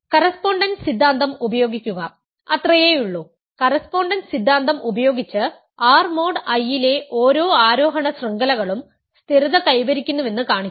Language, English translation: Malayalam, Use the correspondence theorem ,that is all I will say, use the correspondence theorem to show that every ascending chain, every ascending chain of ideals in R mod I stabilizes